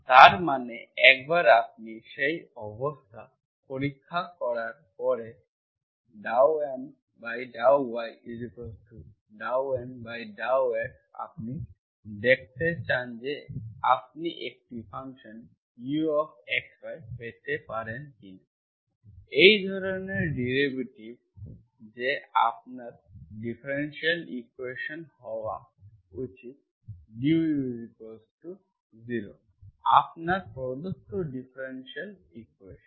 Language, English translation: Bengali, That means once you check that condition, dow M by dow y equal to dow N by dow x you want to, you want to see whether you can get a function U of x, y such that that makes derivative of that should be your differential equation du is equal to 0, du equal to 0 is your given differential equation